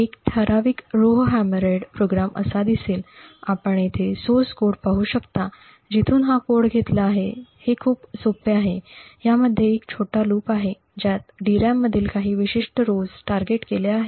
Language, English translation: Marathi, A typical Rowhammered program would look something like this, you could actually look at the source code over here from where this code has been borrowed, it is quite simple it has a small loop in which we target very specific rows within the DRAM